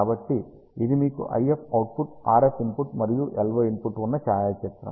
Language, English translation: Telugu, So, this is a photograph you have IF output RF input and LO input